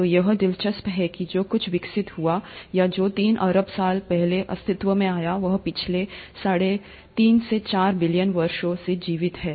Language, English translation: Hindi, So it's interesting that something which evolved or which came into existence more than three billion years ago, has sustained it's survival for the last 3